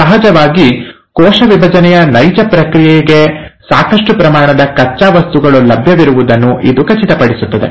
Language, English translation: Kannada, And of course, it makes sure that there is a sufficient amount of raw material available for the actual process of cell division